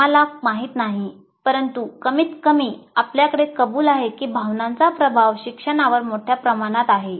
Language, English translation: Marathi, We do not know, but at least you have to acknowledge emotions greatly influence learning